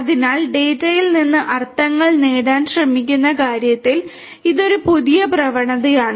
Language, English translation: Malayalam, So, this is a new trend in terms of you know in terms of trying to gain meanings out of the data